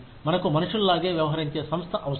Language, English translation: Telugu, We need an organization, that treats us like human beings